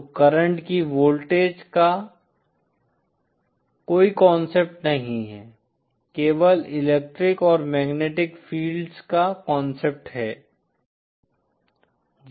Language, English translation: Hindi, So there is no concept of voltage of current, there is only the concept of electric and magnetic fields